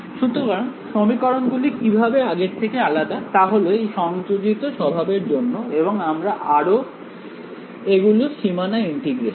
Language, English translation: Bengali, So, how these equation for different from previous ones was because of the coupled nature and also these are boundary integrals